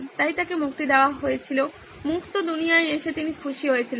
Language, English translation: Bengali, So he was released, he was happy to come be out in the free world